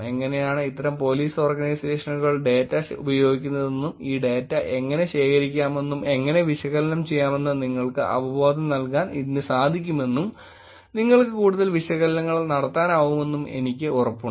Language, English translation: Malayalam, This kind of gives you a good sense of how these Police Organizations are using the data, how this data can be collected, what analysis can be done, and I am sure you can do more analysis with this data also